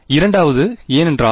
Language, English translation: Tamil, Second one because